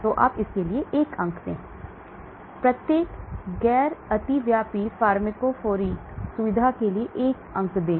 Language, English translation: Hindi, So you give 1 mark for that, give 1 point for each non overlapping pharmacophoric feature